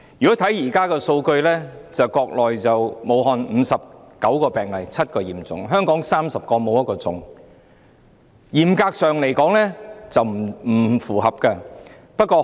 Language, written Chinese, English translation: Cantonese, 根據現時的數據，武漢有59宗病例，其中7宗屬重症；香港有30宗懷疑個案，未有確診個案。, According to current data there are 59 cases in Wuhan 7 of which being severe . There are 30 suspected cases and no confirmed cases in Hong Kong